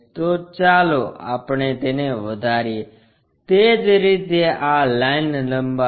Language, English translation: Gujarati, So, let us extend that, similarly extend this line